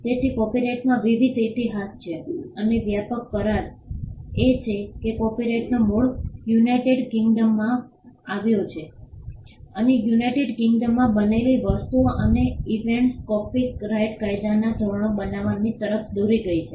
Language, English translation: Gujarati, So, there are different histories in copyright and the broad agreement is that the origin of copyright came from United Kingdom and the things and the events that happened in United Kingdom led to the creation of norms for copyright law